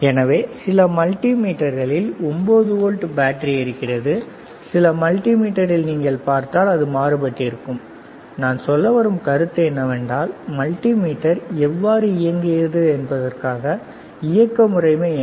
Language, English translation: Tamil, So, if you see in some multimeters 9 volt battery some multimeter it is different the point is, what is the operating mechanism how multimeter operates